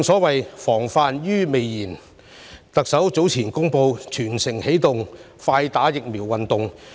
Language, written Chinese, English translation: Cantonese, 為了"防患於未然"，特首早前展開"全城起動快打疫苗"運動。, As a precautionary measure the Chief Executive has launched the Early Vaccination for All campaign a while ago